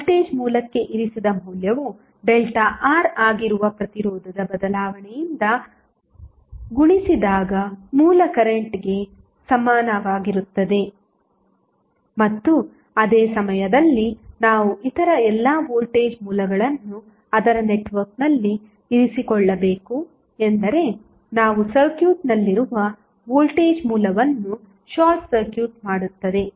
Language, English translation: Kannada, So, the value of placed to voltage source would be equal to the original current multiplied by the updated the change in resistance that is delta R and at the same time, we have to keep all the other voltage sources in the network of that means that we will short circuit the voltage source which are there in the circuit